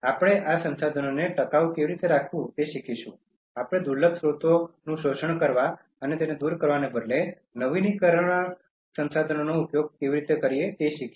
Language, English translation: Gujarati, We should learn how to keep these resources sustainable, how we can use renewable resources and instead of exploiting and depleting the scarce resources that we have